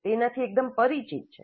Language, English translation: Gujarati, This is quite familiar